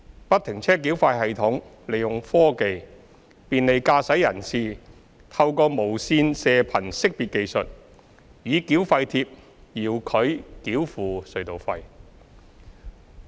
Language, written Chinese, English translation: Cantonese, 不停車繳費系統利用科技，便利駕駛人士透過無線射頻識別技術，以繳費貼遙距繳付隧道費。, FFTS makes use of technology to bring convenience to motorists by allowing them to remotely pay the tunnel tolls with a toll tag through the Radio Frequency Identification technology